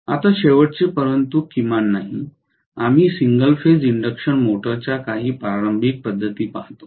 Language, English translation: Marathi, Now the last but not the least, we look at some of the starting methods of single phase induction motors